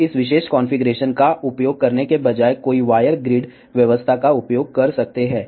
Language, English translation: Hindi, Now instead of using this particular configuration, one can use wire grid arrangement